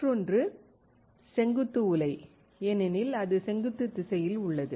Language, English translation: Tamil, Another one is a vertical furnace, since it is in vertical direction